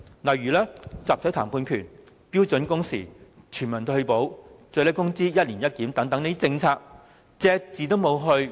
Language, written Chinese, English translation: Cantonese, 對於集體談判權、標準工時、全民退保、最低工資"一年一檢"等政策，均隻字不提。, Regarding policies concerning the right to collective bargaining standard working hours universal retirement protection and the annual minimum wage review the Government has made no mention of them